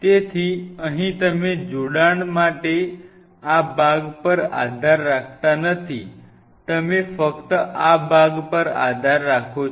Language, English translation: Gujarati, So, here you are not really relying on this part for the attachment you realize it, you are only relying on this part